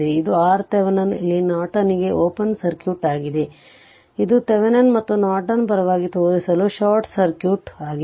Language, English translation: Kannada, This is for Thevenin it is open circuit for Norton, it is short circuit just to show you give you a favor of Thevenin and Norton